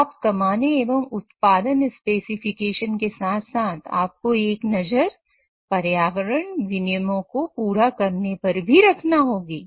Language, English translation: Hindi, So, while achieving profit as well as production spec, you also have to keep one eye towards meeting environmental regulations